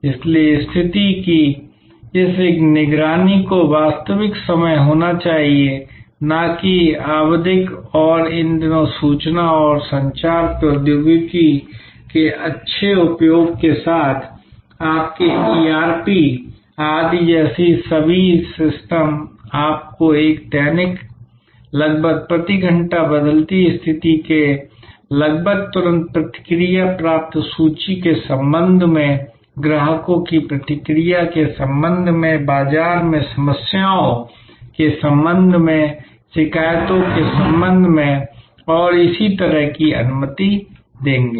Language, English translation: Hindi, So, this monitoring of the situation must be real time, not periodic and these days with good use of information and communication technology, all your systems of like ERP etc will allow you to get a daily, almost hourly, almost instant feedback of changing situation with respect to inventory, with respect to customer feedback, with respect to problems in the marketplace, with respect to complaints and so on